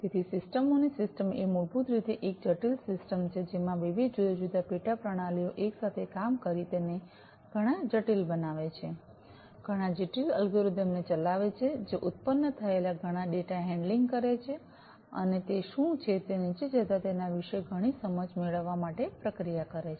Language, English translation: Gujarati, So, a system of systems is basically a complex system consisting of different, different subsystems together working together generating lot of complex, you know, executing lot of complex algorithm, generating lot of data handling to be handled, and processed to get lot of insights about what is going on down underneath